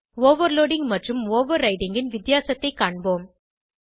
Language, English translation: Tamil, Let us see the difference of overloading and overriding